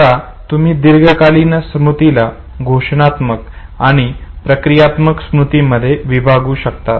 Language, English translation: Marathi, Now long term memory you can divide it into declarative and procedural memory this we will come to it little later